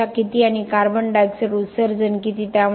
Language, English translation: Marathi, How much of energy and how much of CO2 emissions